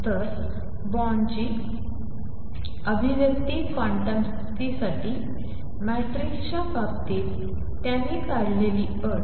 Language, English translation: Marathi, So, Born’s expression for quantum condition in terms of matrices in fact, the condition that he derived